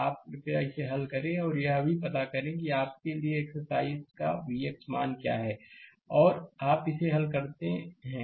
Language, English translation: Hindi, You please solve it and also you find out what is V x value an a exercise for you and you solve it